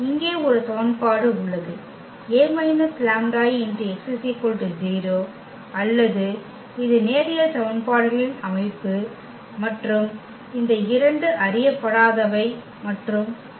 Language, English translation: Tamil, There is a one equation here A minus lambda I x is equal to 0 or it is a system of linear equation and we have these two unknowns the lambda and x